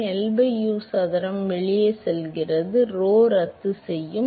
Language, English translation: Tamil, So, L by U square goes out rho will cancel out